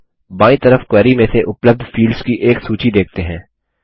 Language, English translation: Hindi, Now we see a list of available fields from the query on the left hand side